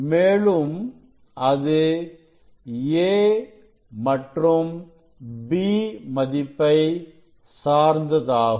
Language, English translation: Tamil, It depends on b and a, which zone we are considering